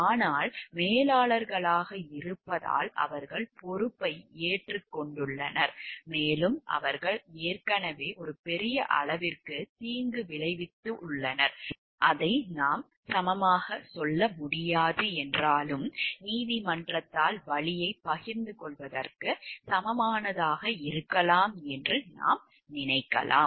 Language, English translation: Tamil, But being managers they have owned up the responsibility and so, and they have already paid for the harm to a great extent, though we cannot tell like it is equal to, but we can think of maybe an equivalent sharing of the pain by the court cases